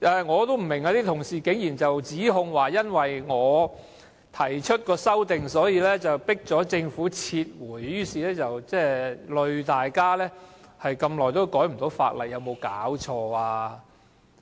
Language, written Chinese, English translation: Cantonese, 我不明白，為何會有同事聲稱，因為我提出修正案，迫使政府撤回《條例草案》，連累大家這麼久都無法修改法例，有沒有搞錯？, I do not understand why some colleagues claimed that the Government was forced to withdraw the Bill because of my proposed amendments making it impossible to amend the Ordinance even after such a long wait . What is wrong with them?